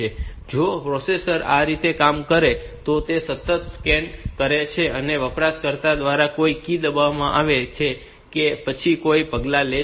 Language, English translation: Gujarati, Now, if the processor is operating like this that it continually scans whether any key has been placed by the user and then takes some action